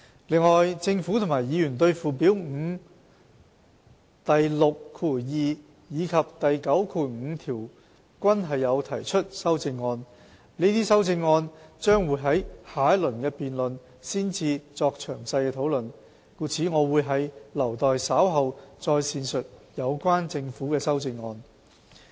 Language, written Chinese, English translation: Cantonese, 另外，政府及議員對附表5第62及95條均有提出修正案，這些修正案將會在下一輪辯論才作詳細討論，故我會留待稍後再闡述有關的政府修正案。, Furthermore the Government and Members have proposed amendments to sections 62 and 95 of Schedule 5 . Since these amendments will not be discussed in detail until the next debate I will elaborate on the relevant amendments proposed by the Government later on